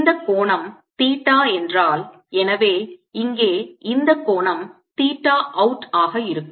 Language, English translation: Tamil, if this angle is theta, so is going to be this angel theta